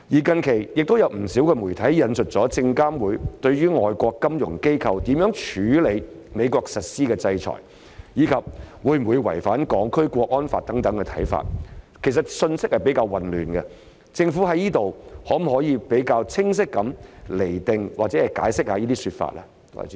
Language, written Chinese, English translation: Cantonese, 近期，亦有不少媒體引述證券及期貨事務監察委員會對於外國金融機構如何處理美國實施的制裁，以及會否違反《香港國安法》等的看法，有關信息比較混亂，政府可否比較清晰地釐定或解釋這些說法？, Recently quite a number of media outlets have quoted the views of the Securities and Futures Commission on how foreign financial institutions should deal with sanctions imposed by the US and whether they would violate the National Security Law . As the messages are confusing will the Government clarify or elaborate on them?